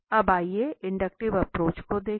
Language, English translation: Hindi, Now let us look at the inductive approach now this inductive approach is a different one